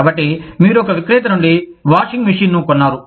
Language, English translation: Telugu, So, you bought a washing machine, from a seller